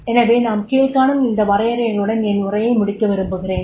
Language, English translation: Tamil, So, so I would like to conclude with these definitions